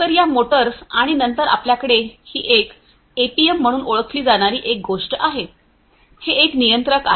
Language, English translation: Marathi, So, these motors and then you have you know this one is something known as the APM, this is a controller